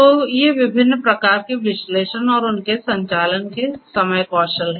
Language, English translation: Hindi, So, these are the different types of analytics and their corresponding time skills of operation